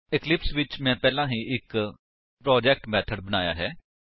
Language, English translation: Punjabi, So, in the eclipse, I have already created a project Methods